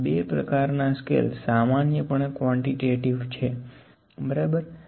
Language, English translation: Gujarati, These two kinds of scales are generally quantitative, ok